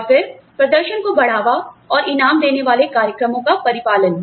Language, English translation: Hindi, And then, the implementation of programs, to encourage and reward performance